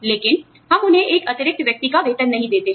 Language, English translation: Hindi, But, we do not pay them, the salary, of an additional person